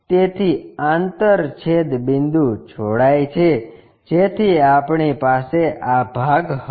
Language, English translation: Gujarati, So, intersection point join, so that we will have this part